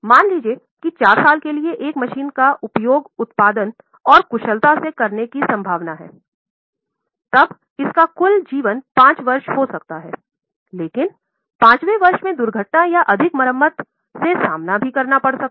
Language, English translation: Hindi, So, suppose if a machine is likely to be used for four years, in a productive and an efficient manner, it may have a total life of five years, but in the fifth year it may face with lot of accidents or possibility of more repairs